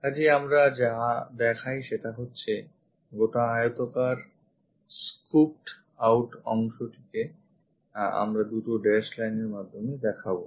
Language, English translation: Bengali, So, what we show is; this entire rectangular scooped out region we will show it by two dashed lines